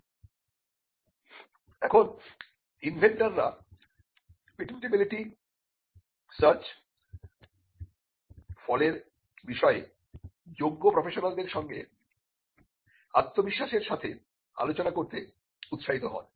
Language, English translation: Bengali, Now, the inventors are then encouraged to discuss in confidence the result of the patentability search with the qualified or a competent IP professional